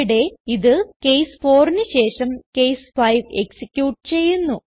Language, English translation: Malayalam, In our case, it executed case 5 after case 4